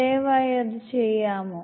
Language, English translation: Malayalam, Will you please do it